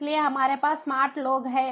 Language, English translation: Hindi, so we have ah the smart people